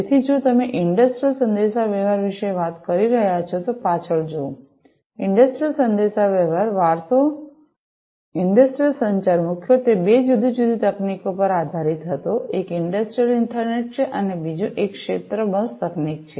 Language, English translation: Gujarati, So, looking back if you are talking about industrial communication; industrial communication legacy industrial communication was primarily, based on two different technologies; one is the Industrial Ethernet, and the second one is the field bus technology